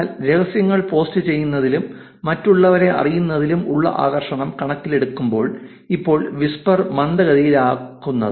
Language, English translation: Malayalam, But considering the allure of posting secrets and knowing other people's, it's unlike to slow down whisper for now